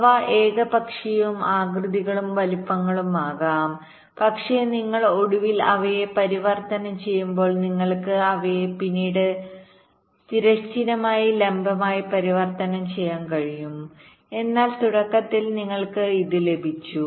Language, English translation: Malayalam, they can be of arbitrary and these shapes and sizes, but when you finally convert them, may be you can convert them into segment, horizontal, vertical later on, but initially you have got this